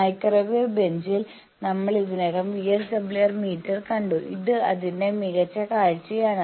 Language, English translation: Malayalam, In the microwave bench we are already seen VSWR meter this is a better view of that